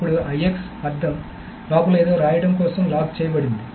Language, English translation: Telugu, And then IX meaning there is something inside is locked for writing